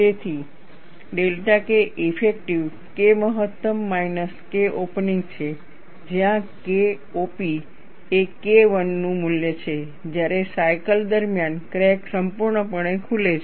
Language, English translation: Gujarati, So, delta K effective is K max minus K opening, where K op is the value of K 1, when the crack opens completely during the cycle